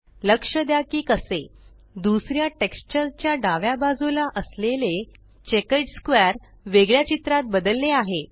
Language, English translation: Marathi, Notice how the checkered square on the left of the second texture has changed to a different image